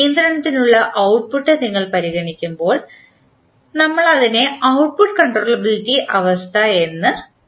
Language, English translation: Malayalam, When you consider output for the controllability we call it as output controllability condition